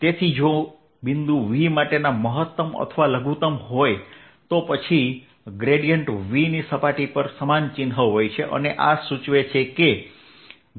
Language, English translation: Gujarati, so if the point is a maximum or minimum of v, then grad v has the same sign over the surface and this implies integration